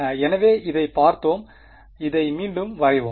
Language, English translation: Tamil, So, let us look at this let us draw this again